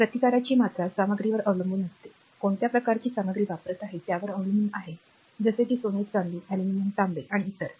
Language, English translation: Marathi, So, the amount of resistance that will depend on the material; so, what type of material you are using that it depend like gold ah, silver, aluminum, copper and other thing right